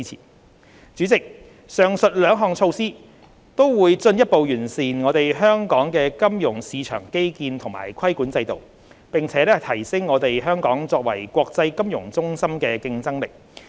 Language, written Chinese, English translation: Cantonese, 代理主席，上述兩項措施均會進一步完善香港的金融市場基建和規管制度，並提升香港作為國際金融中心的競爭力。, Deputy President the two above mentioned measures can further refine the financial market infrastructure and the regulatory regime in Hong Kong and strengthen Hong Kongs competitiveness as an international financial centre